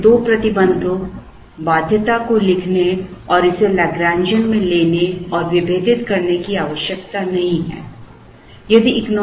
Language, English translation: Hindi, So, we need not take the trouble of writing two constraints and taking it into the lagrangian and differentiating it